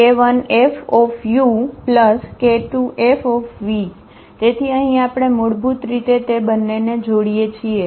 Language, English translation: Gujarati, So, here we are combining basically the two